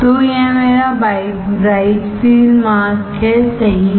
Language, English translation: Hindi, So, this is my bright field mask right